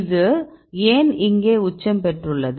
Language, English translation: Tamil, Why this is a peak here